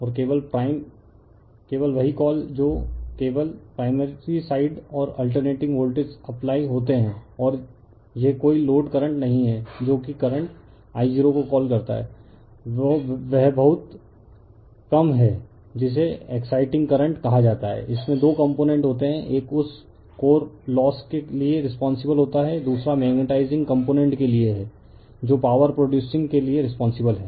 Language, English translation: Hindi, And only prime only you are what you call that only primary side and alternating voltage are applied and this no load current yeah that is your what you call the current I 0 is very small that is called your exciting current it has two component, one is responsible for that your core losses another is for magnetizing component that is responsible for producing powers